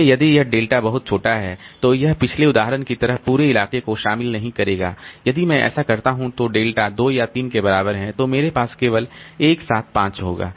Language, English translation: Hindi, So, so this if delta is too small, so it will not encompass the entire locality like in previous example if I make say delta equal to say two or three, then I will have only one seven, five